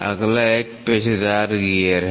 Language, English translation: Hindi, The next one is a Helical Gear